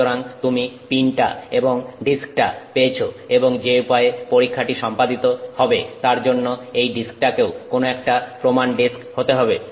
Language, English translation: Bengali, So, you get the pin and you get the disk and the way the test works is that this disk is also some standardized disk